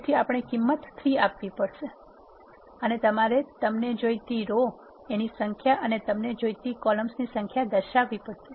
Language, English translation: Gujarati, So, we need to specify the value to be 3 and you have to specify the number of rows you want and the number of columns you want